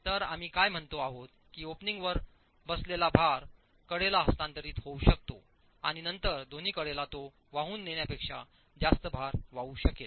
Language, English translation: Marathi, So what we are saying is the load that's sitting above the opening can get transferred to the sides and the two sides will then carry greater load than it was originally carrying